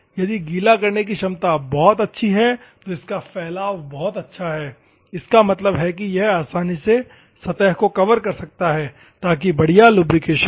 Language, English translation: Hindi, If the wetting ability is very good, it is spreading is very good; that means, that it can easily cover the surface so that the lubrication will be proper